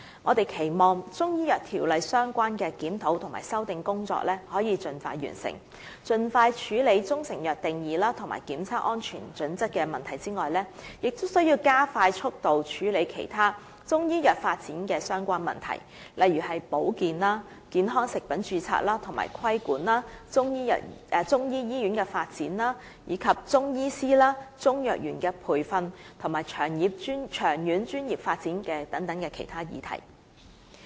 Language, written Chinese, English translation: Cantonese, 我們期望《條例》相關的檢討和修訂工作可以盡快完成，除了盡快處理中成藥定義及檢測安全準則的問題外，亦須加快速度處理其他與中醫藥發展相關的問題，例如保健、健康食品的註冊及規管、中醫醫院的發展、中藥師和中藥員的培訓，以及長遠專業發展等其他議題。, We hope that the relevant review and amendment exercise related to CMO can be completed as soon as possible . Apart from dealing with issues related to the definition of proprietary Chinese medicines and inspection and safety criteria as soon as possible the handling of other issues related to the development of Chinese medicine for example the registration and regulation of health foods the development of a Chinese medicine hospital the training of Chinese medicine pharmacists and Chinese medicine dispensers as well as long - term professional development should also be expedited